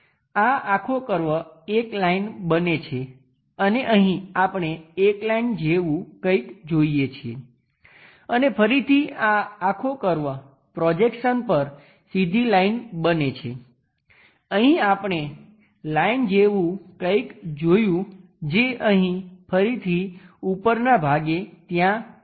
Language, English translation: Gujarati, This entire curve turns out to be a line and here we see something like a line and again this entire line curve turns out to be a straight line on the projection, here we see something like a line that line comes there again from here the top portion comes there